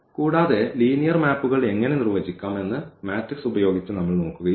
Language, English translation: Malayalam, Further, we have also looked at this using matrices how to define the linear maps